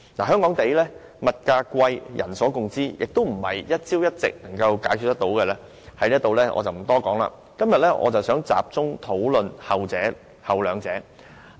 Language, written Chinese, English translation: Cantonese, 香港物價昂貴是人所共知的，並非一朝一夕便可以解決，所以我不在此多談，今天我想集中討論後兩者。, The problem of high prices in Hong Kong is well known to all and it cannot be resolved overnight . So I am not going to dwell on it here . Today I wish to focus the discussion on the latter two